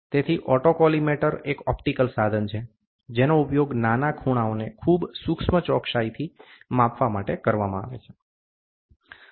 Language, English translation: Gujarati, So, autocollimator is an optical instrument that is used to measure small angles to very high precision